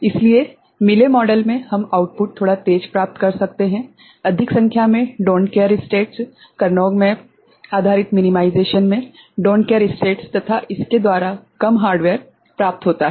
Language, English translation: Hindi, So, in Mealy model, we can get the output a bit quicker, more number of don’t care states, don’t care states in the Karnaugh map based minimization and, it will be less hardware